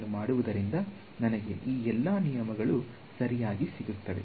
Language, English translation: Kannada, So, doing that gives me all of these rules right